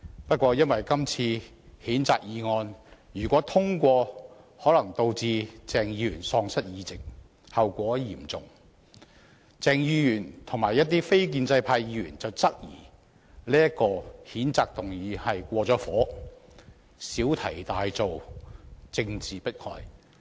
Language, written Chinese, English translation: Cantonese, 由於今次的譴責議案一旦獲得通過，可能導致鄭松泰議員喪失議席，後果嚴重，故鄭議員和一些非建制派議員質疑譴責議案過火，小題大做，是政治迫害。, As the passage of the censure motion this time around may lead to the serious consequence of causing Dr CHENG Chung - tai to lose his seat Dr CHENG and some non - establishment Members questioned whether the censure motion has gone overboard making a mountain out of a molehill and using it as a means of political oppression